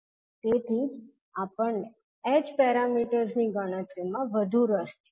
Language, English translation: Gujarati, That is why we have more interested into the h parameters calculation